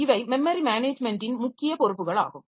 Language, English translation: Tamil, So, these are the major responsibilities of process memory management